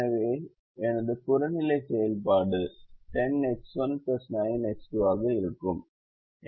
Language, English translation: Tamil, our objective function for this problem is ten x one plus nine x two